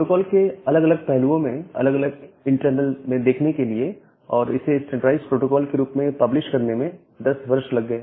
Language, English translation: Hindi, So, it took around 10 years to look into the different aspects of the protocol different internals of the protocol and to make it publish as a standardized protocol